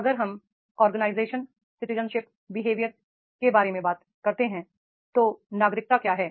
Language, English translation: Hindi, If we talk about the OCB organizational citizenship behavior, what is citizenship